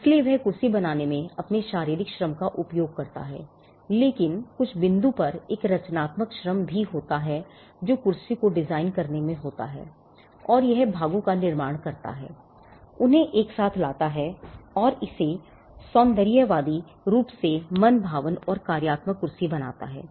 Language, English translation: Hindi, So, he exercises his physical labor in creating the chair, but at some point, there is also a creative labor that goes in designing the chair and it constituting the parts, bringing them together and making it into an aesthetically pleasing and a functional chair